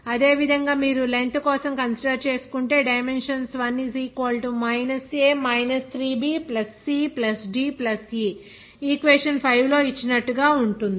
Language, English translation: Telugu, similarly, dimensions if you consider for L length then it will be a 1 is equal to –a 3b + c+ d +e As given in question number 5